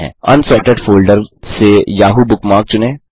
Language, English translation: Hindi, From the Unsorted Bookmarks folder select the Yahoo bookmark